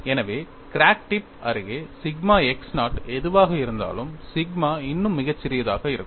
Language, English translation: Tamil, So, near the crack tip sigma x minus, whatever the sigma would still be very small